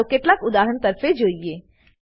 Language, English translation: Gujarati, Let us look at some examples